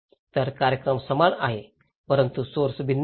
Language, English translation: Marathi, So, the event is same but the sources are different